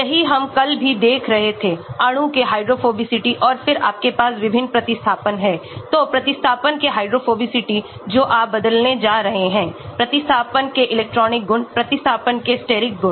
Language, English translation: Hindi, That is what we are looking at yesterday also the hydrophobicity of the molecule, and then you have different substituents right, so the hydrophobicity of the substituent that you are going to change, electronic properties of the substituents, Steric properties of the substituents